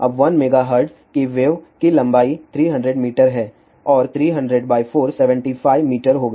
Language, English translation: Hindi, Now, add to 1 megahertz wave length is going to be 300 meter and 300 by 4 is 75 meter